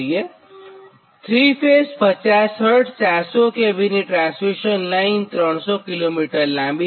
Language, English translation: Gujarati, fifty hertz, four hundred k v transmission line is three hundred kilo meter long